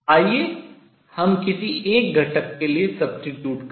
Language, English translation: Hindi, Let us substitute for one of the components